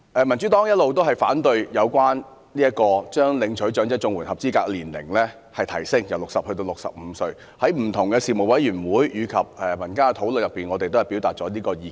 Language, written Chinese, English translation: Cantonese, 民主黨一直反對將領取長者綜援合資格年齡由60歲提高至65歲，在不同的事務委員會及民間討論中，我們均表達這個意見。, The Democratic Party has all along been opposing raising the eligibility age of elderly CSSA from 60 to 65 and we have voiced such opposition at meetings of various Panels and in discussions in the community